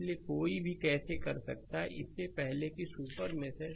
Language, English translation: Hindi, So, how one can do is look before because it is a super mesh